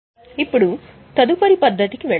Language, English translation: Telugu, Now let us go to the next method